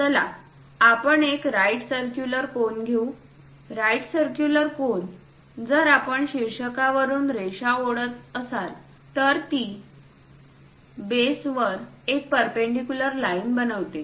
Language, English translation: Marathi, Let us take a right circular cone; right circular cone, if we are dropping from apex a line, it makes perpendicular line to the base